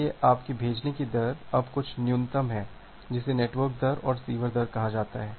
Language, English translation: Hindi, So, your sending rate now is the minimum of something called the network rate and the receiver rate